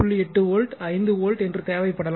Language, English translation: Tamil, 8 volts 5 volts